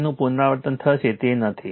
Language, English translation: Gujarati, So, repetition will be there is not it